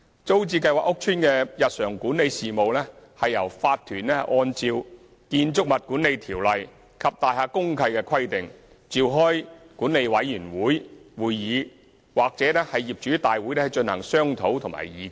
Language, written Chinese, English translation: Cantonese, 租置計劃屋邨的日常管理事務由業主立案法團按照《建築物管理條例》及大廈公契的規定，召開管理委員會會議或業主大會進行商討及議決。, Day - to - day estate management matters are discussed and resolved at meetings of management committees or general meetings convened by Owners Corporations OCs pursuant to the provisions of BMO and DMCs